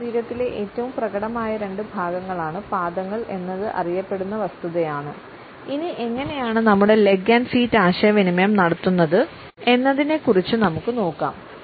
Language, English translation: Malayalam, It is a little known fact that the feet are two of the most expressive parts of our bodies; let us see what we can discover about what our feet and legs communicate